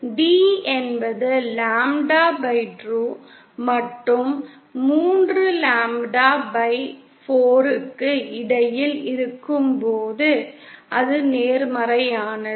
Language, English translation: Tamil, When d is between lambda/2 and 3lambda/4, it is positive